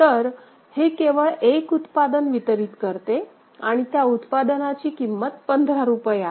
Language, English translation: Marathi, So, it delivers only one product and that product is costing rupees 15 ok